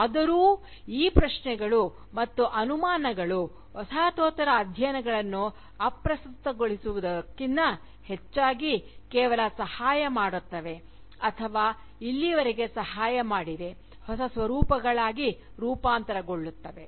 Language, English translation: Kannada, Yet, these questions and doubts, rather than making Postcolonial studies irrelevant, merely help it, or has helped it so far, to mutate into newer forms